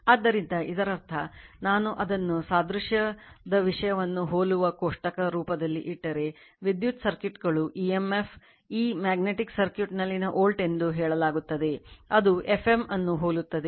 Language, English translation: Kannada, So, that means, if I put it in a tabular form that analogue the analogous thing, electrical circuits say emf, E is a volt in magnetic circuit, it analogies F m right